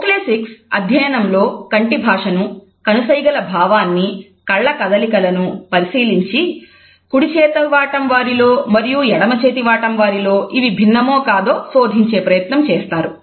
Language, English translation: Telugu, Oculesics studies and analyzes the behavior of the eyes the language of the eyes the movements of the eyes and whether it is different in a right handed person and in a left handed person